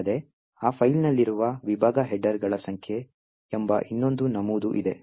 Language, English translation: Kannada, Also, there is another entry called the number of section headers present in that particular file